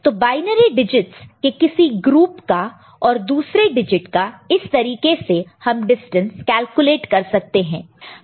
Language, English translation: Hindi, So, to any group of binary digits and another digit this is the way we can calculate the distance, ok